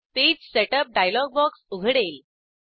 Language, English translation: Marathi, The Page Setup dialog box opens